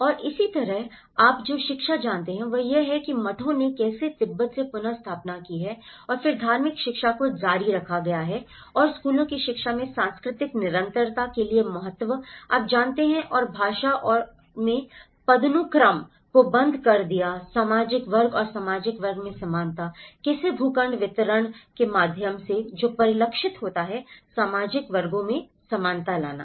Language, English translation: Hindi, And similarly, the education you know, how the monasteries have reestablished from Tibet and then the religious education have been continued and in the education of schools given importance for cultural continuity, you know and the language and discontinued hierarchy in social class and equality in the social class, how the plot distribution is also reflected through bringing the equality in the social classes